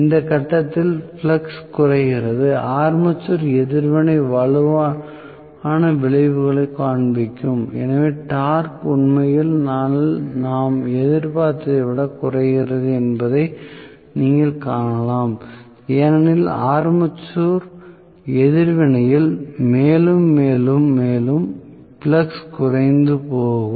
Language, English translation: Tamil, So, at this point flux is decreased so armature reaction will show stronger effects, so, you may see that the torque actually decreases more than what we anticipated to decrease because armature reaction is going to decrease the flux further and further as it is